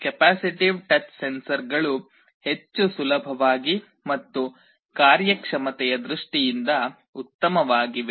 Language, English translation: Kannada, Of course, the capacitive touch sensors are much more flexible and better in terms of performance